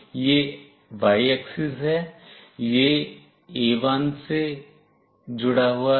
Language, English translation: Hindi, This is y axis this one is connected to A1